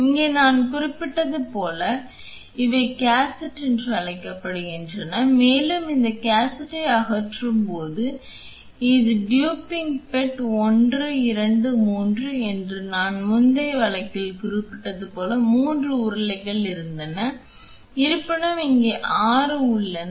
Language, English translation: Tamil, Here there is like I mentioned these are called as the cassette and when we remove this cassette this is the tubing bed 1, 2, 3 here like I mentioned in the previous case there were 3 rollers; however, here there are 6